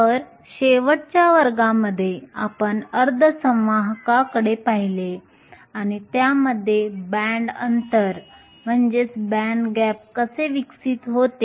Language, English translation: Marathi, So, in last class we looked at semiconductors and how a bind gap evolves in them